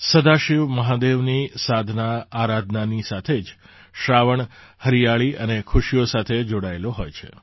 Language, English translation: Gujarati, Along with worshiping Sadashiv Mahadev, 'Sawan' is associated with greenery and joy